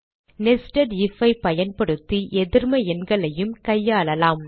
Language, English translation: Tamil, we will also handle negative numbers using a nested if